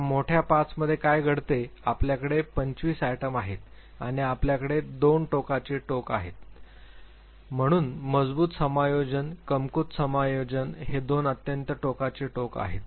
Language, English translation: Marathi, Now in big 5 what happens you have 25 items and you have two extreme ends, so strong adjustment, weak adjustments these are the two extreme ends